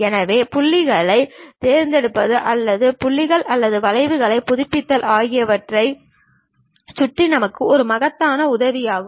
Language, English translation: Tamil, So, mouse is a enormous help for us in terms of picking the points or updating the points or curves